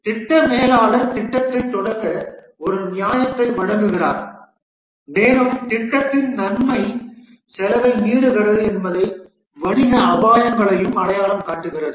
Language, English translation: Tamil, Here the project manager provides a justification for starting the project and shows that the benefit of the project exceeds the costs and also identifies the business risks